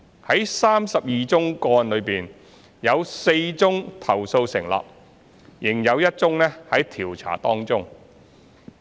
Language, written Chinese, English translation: Cantonese, 在32宗個案中，有4宗投訴成立，仍有1宗在調查當中。, Of the 32 cases four were substantiated and one case is still under investigation